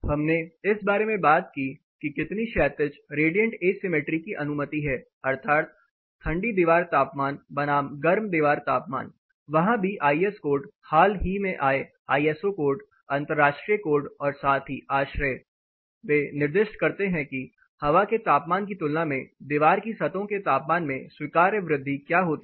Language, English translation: Hindi, We talked about what is the horizontal radiant asymmetry permitted, that is what is cold wall versus hot wall there also the IS code that is the recent ISO codes international code as well as ASHRAE they specify what does the allowable increase in the surfaces temperature of wall compared to the air temperature